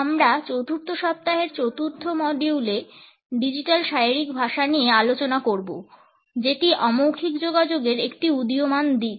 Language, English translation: Bengali, In the fourth module of the fourth week we would take up digital body language which is an emerging aspect of nonverbal communication